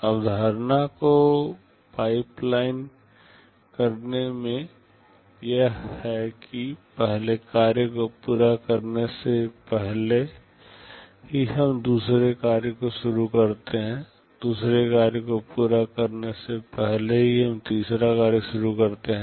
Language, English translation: Hindi, In pipelining the concept is that even before you finish the first task, we start with the second task, even before we finish the second task we start the third task